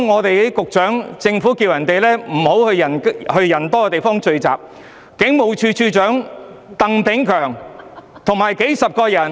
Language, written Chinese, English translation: Cantonese, 還有，局長呼籲市民不要到人多的地方聚集，但警務處處長鄧炳強卻與數十人聚餐。, Furthermore the Secretary had warned the public against going to crowded places and yet Commissioner of Police Chris TANG attended a dinner gathering with dozens of people